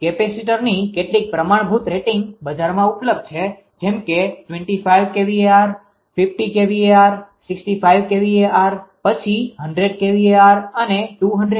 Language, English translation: Gujarati, Some standard ratings of capacitors are available in the market, like 25 kvr, 50 kilo kvr, 65 kilowatt, then 100 kilowatt, 200 kilowatt like that